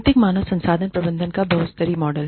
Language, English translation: Hindi, Multilevel model of strategic human resource management